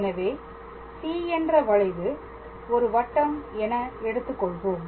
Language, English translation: Tamil, So, let us assume that our curve C is basically this circle